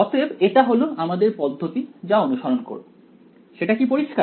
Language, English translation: Bengali, So, that is the strategy that we will follow is it clear